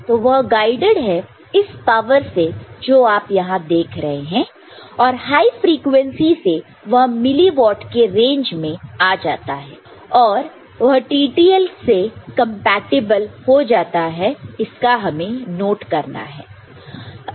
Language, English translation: Hindi, So, roughly it is guided by this power that you see over here and with the higher high frequency it becomes it comes in the range of milli watt and becomes compatible to TTL that is we take note of here, fine